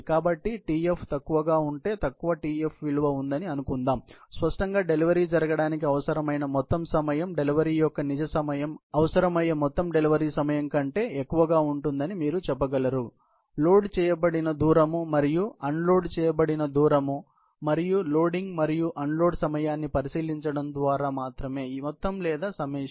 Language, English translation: Telugu, So, if the t f is low, supposing there is low Tf value; obviously, the total time needed for the delivery to happen; the real time of the delivery, you can say, would actually be higher than the total time of delivery that is needed, only by looking into the loaded distance and unloaded distance and the loading and unloading time; sum or summation